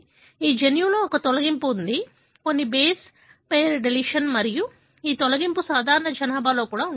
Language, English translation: Telugu, There is a deletion in this gene, few base pairdeletion and this deletion is present even in the normal population